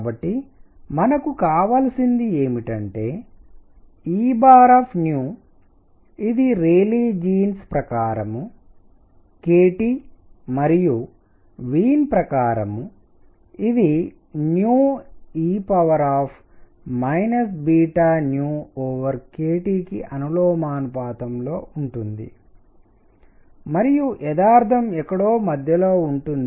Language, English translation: Telugu, So, what we need is E bar nu which according to Rayleigh Jeans is k T and according to Wien is proportional to nu e raised to minus beta nu over k T and truth is somewhere in between